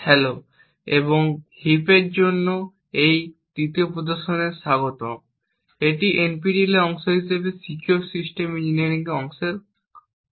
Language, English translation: Bengali, Hello and welcome to this third demonstration for heaps, this is part of the Secure System Engineering course as part of the NPTEL